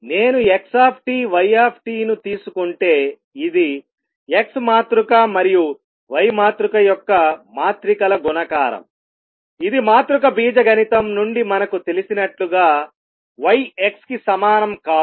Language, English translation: Telugu, If I take xt yt, which is the matrices multiplication of X matrix and Y matrix it is not the same as Y X as we know from matrix algebra